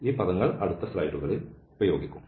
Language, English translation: Malayalam, So, this terminology will be used in next slides